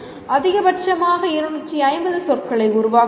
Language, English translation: Tamil, A maximum of 250 words can be written